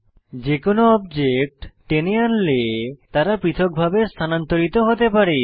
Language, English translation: Bengali, Drag any of the objects, and you will see that they can be moved individually